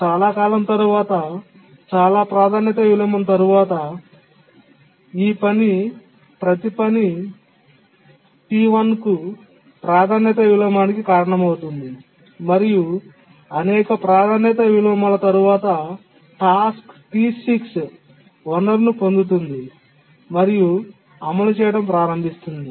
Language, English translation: Telugu, But after a long time, after many priority inversion, each of this task is causing a priority inversion to the task T1 and after many priority inversions, task T6 gets the resource, starts executing, and after some time religious the resource that is unlocks here